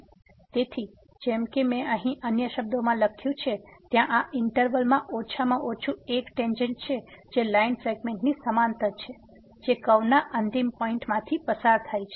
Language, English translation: Gujarati, So, as I have written here in other words there is at least one tangent in this interval that is parallel to the line segment that goes through the end points of the curve